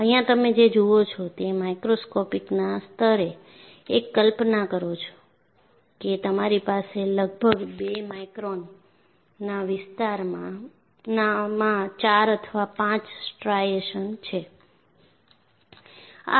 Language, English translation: Gujarati, What you see here, happens that are microscopic level; imagine, that you will have 4 or 5 striations in a span of about 2 microns